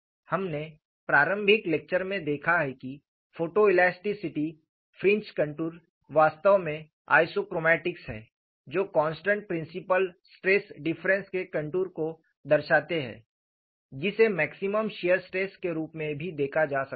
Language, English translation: Hindi, We have seen in the initial lecture, that photo elasticity fringe contours are actually isochromatics which represent contours of constant principle stress difference, which could also be looked at as maximum shear stress